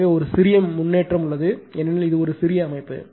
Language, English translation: Tamil, So, there is a slight improvement I mean because this is a small system